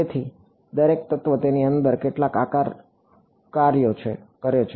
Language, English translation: Gujarati, So, each element then has inside it some shape functions ok